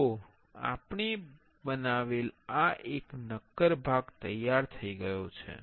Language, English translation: Gujarati, See this is the solid part we have created